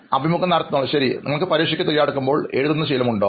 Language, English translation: Malayalam, And do you have the habit of writing while you are preparing for exam